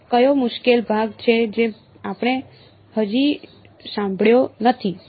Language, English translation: Gujarati, So, what is the difficult part we are not yet handled